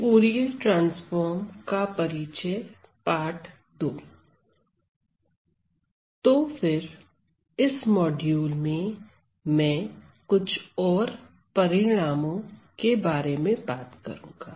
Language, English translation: Hindi, So, then in this module, I am going to talk about, more results